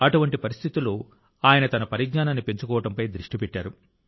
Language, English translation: Telugu, In such a situation, he focused on enhancing his own knowledge